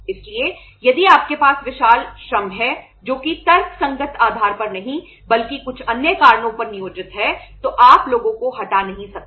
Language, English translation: Hindi, So if you have say huge labour which is employed on not on the say rational basis but on some other considerations you cannot remove the people